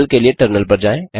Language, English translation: Hindi, Switch to terminal for solution